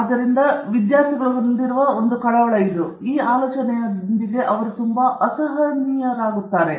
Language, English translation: Kannada, So, this a concern that students have, so they become very uncomfortable with this idea that you should give your best results away